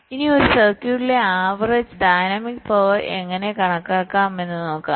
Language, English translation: Malayalam, how we can calculate the average dynamic power in a circuit